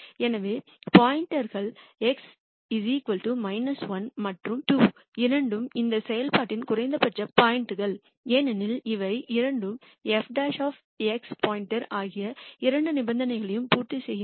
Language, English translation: Tamil, So, points x equal to minus 1 and 2 both are minimum points for this function because both of them satisfy the two conditions f prime x star is 0 and f double prime x star is greater than 0